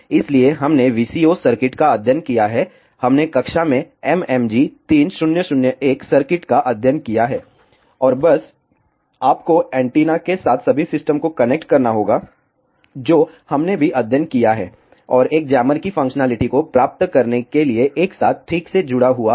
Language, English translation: Hindi, So, we have studied the VCO circuits, we have studied the MMG 3001 circuit in the class, and simply you have to connect all the systems along with the antenna that we have also studied, and connected together properly to achieve the functionality of a jammer